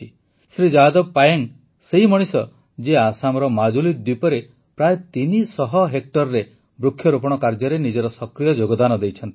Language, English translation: Odia, Shri Jadav Payeng is the person who actively contributed in raising about 300 hectares of plantations in the Majuli Island in Assam